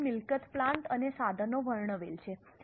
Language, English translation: Gujarati, So, property plant and equipment is described